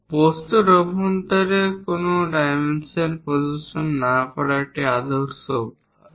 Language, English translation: Bengali, It is a standard practice not to show any dimension inside the object